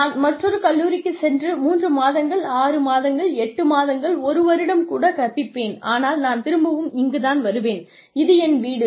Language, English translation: Tamil, I will teach in another college for three month, six month, eight months, one year, but I will still come back, to my home, which is IIT